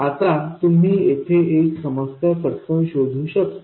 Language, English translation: Marathi, Now you can quickly spot a problem here